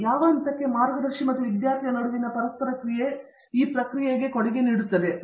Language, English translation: Kannada, So, to what degree and how much does the interaction between the guide and the student contribute to this process